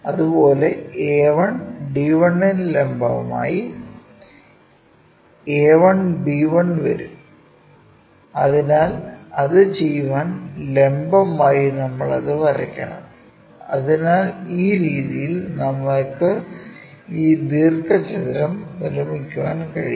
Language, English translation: Malayalam, Similarly, a 1 b 1 perpendicular to a 1 d 1; so, perpendicular to do that we have to draw that; again, perpendicular to that perpendicular